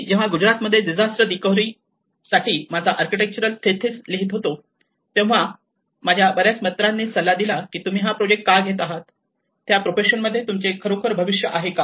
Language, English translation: Marathi, When I was doing my architectural thesis on disaster recovery in Gujarat, many of my friends advised why are you taking that project, do you really have a future in that profession